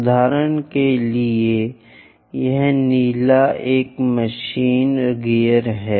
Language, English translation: Hindi, For example, this blue one is the machine gear